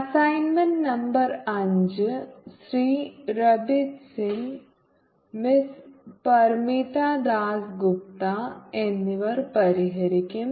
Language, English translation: Malayalam, assignment number five will be solved by mr rabeeth singh and miss parmita dass gupta